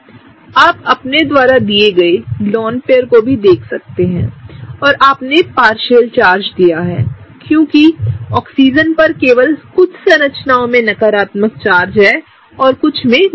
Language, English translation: Hindi, You also look at the lone pairs you give them right, and you also give a partial charge, because in one of the cases the Oxygen has a negative charge, but the other structure it does not have